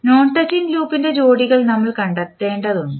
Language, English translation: Malayalam, Now, next is you need to find out the pairs of non touching loop